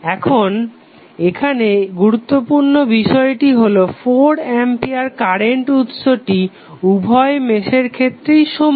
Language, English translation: Bengali, Now, here the important thing is that the source which is 4 ampere current is common to both of the meshes